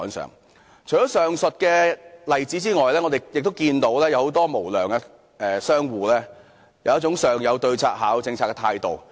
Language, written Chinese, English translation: Cantonese, 除了上述例子外，我們亦看到很多無良商戶有一種"上有對策、下有政策"的態度。, Apart from the example above some unscrupulous merchants have adopted certain practices to circumvent government regulation